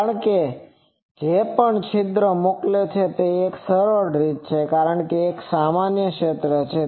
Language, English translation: Gujarati, Because whatever aperture is sending; so that is an easier way because it is an uniform field